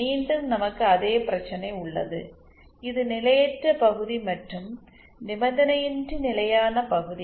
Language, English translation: Tamil, Again we have the same problem, which is the potentially unstable region and which is the unconditionally stable region